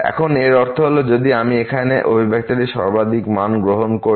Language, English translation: Bengali, Now, this implies, so, if I we take the maximum value of this expression here